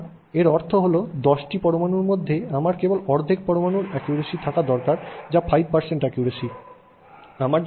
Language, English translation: Bengali, So, that means out of 10 atoms I need to have only, you know, half an atom accuracy which is 5% accuracy